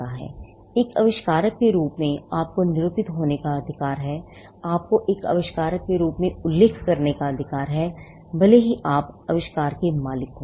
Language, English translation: Hindi, As an inventor, you have a right to be denoted; you have a right to be mentioned as an inventor, regardless of whether you own the invention